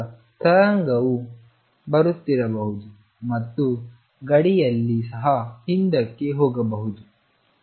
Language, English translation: Kannada, So, the wave could be coming in and because as the boundary could also be going back and